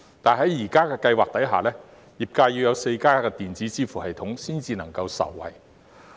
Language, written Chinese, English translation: Cantonese, 但是，在現時計劃下，業界要採用4家電子支付系統裏其中一家才會能夠受惠。, But under the current Scheme the sectors can benefit if they use the payment system of only one of the four SVF operators